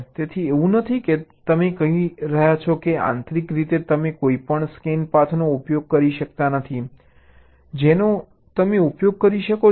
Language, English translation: Gujarati, so it is not that you saying that internally you cannot use any scan path, that also you can use